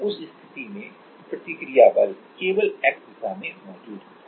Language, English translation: Hindi, And in that case only the reaction force will be present at X direction